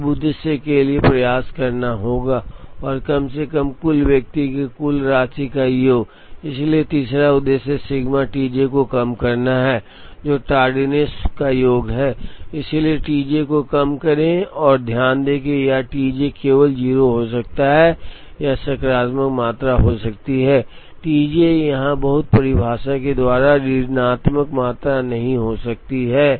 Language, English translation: Hindi, So, now, the objective would be to try and minimize, the total the sum of the individual tardiness, so the 3rd objective is to minimize sigma T j, which is sum of the tardiness, so minimize T j and note that this T j can only be 0 or it can be a positive quantity, T j cannot be a negative quantity by the very definition here